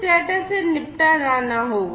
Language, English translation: Hindi, So, this data will have to be dealt with